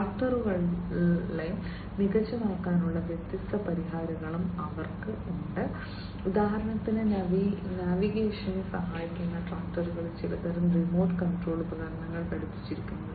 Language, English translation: Malayalam, They also have different solutions for making the tractors smarter, for example, you know having some kind of remote control equipment attached to the tractors for aiding in their navigation